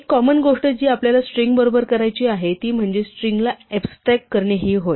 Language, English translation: Marathi, A very common thing that we want to do with strings is to extract the part of a string